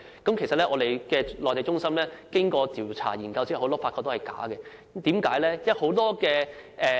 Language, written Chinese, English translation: Cantonese, 工聯會的內地中心經過調查研究後發現，很多資料是虛假的。, A survey conducted by the Mainland Centre under FTU has found that much information is false